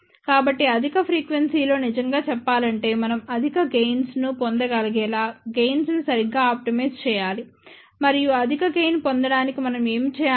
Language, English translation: Telugu, So, at higher frequency really speaking, we have to optimize the gain properly so that we can get a higher gain and to obtain the higher gain, what we need to do